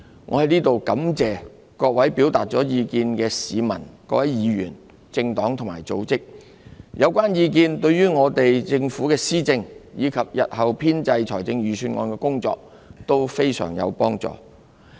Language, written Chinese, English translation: Cantonese, 我在此感謝各位表達了意見的市民、議員、政黨及組織，有關意見對政府施政及日後編製預算案的工作均非常有幫助。, I wish to thank those members of the public Members political parties and organizations who have expressed their views which are invaluable to the Governments administration and the compilation of budgets in future